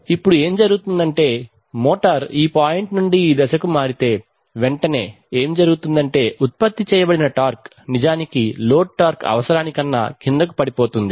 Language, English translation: Telugu, Now what happens is that if the motor shift from this point to this point, immediately what will happen is that the generated torque will actually fall below the load torque requirement